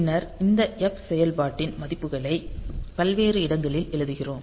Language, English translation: Tamil, And then there we write down the values of this function f at various locations